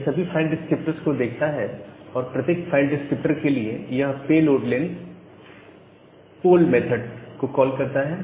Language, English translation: Hindi, So, it looks over all the file descriptor for every file descriptor it calls the file descriptor poll method